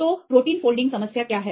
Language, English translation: Hindi, So, what is the protein folding problem